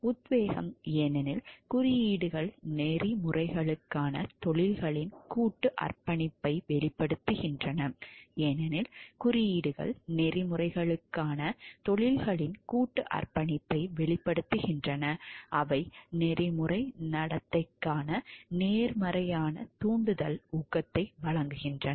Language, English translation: Tamil, Inspiration because, codes express a professions collective commitment to ethics they provide inspiration because, codes express a professions collective commitment to ethics they provide a positive stimulus motivation for ethical conduct